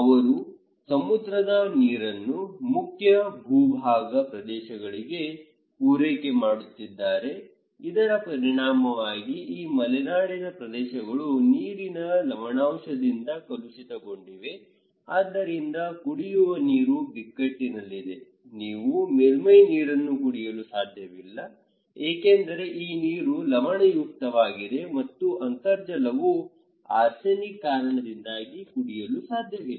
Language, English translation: Kannada, They are channelising the seawater into mainland areas, so as upland areas; as a result, these areas are also contaminated by water salinity so, drinking water is in crisis, you cannot eat, you cannot drink surface water because this water is saline, and the groundwater because of arsenic